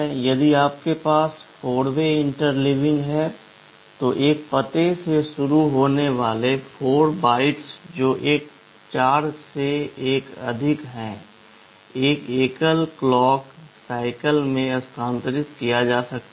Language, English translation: Hindi, If you have 4 way interleaving, then 4 consecutive bytes starting from an address that is a multiple of 4 can be transferred in a single clock cycle